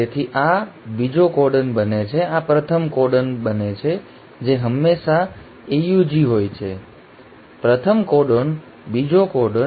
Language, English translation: Gujarati, So this becomes the second codon, this becomes the first codon which is always AUG; first codon, second codon